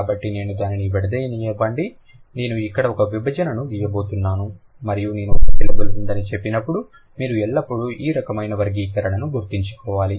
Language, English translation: Telugu, So, let me kind of, let me divide it into, I'm going to draw a division over here and when I say there is a syllable, you should always remember this kind of a classification